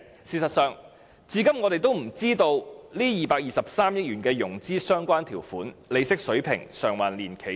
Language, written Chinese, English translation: Cantonese, 事實上，至今我們也不知道有關該223億元的融資條款、利息水平、償還年期等資料。, In fact even now we do not know anything about the terms of the RMB22.3 billion loans such as the interest rates and the loan tenure